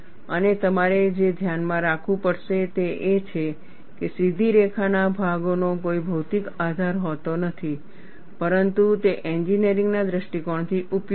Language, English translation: Gujarati, And what you will have to keep in mind is, the straight line portions have no physical basis, but are useful from an engineering standpoint